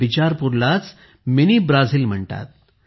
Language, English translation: Marathi, Bicharpur is called Mini Brazil